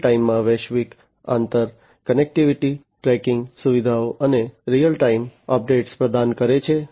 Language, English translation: Gujarati, Global inter connectivity facilities in real time, and providing real time updates